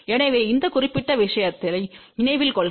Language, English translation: Tamil, So, please remember this particular thing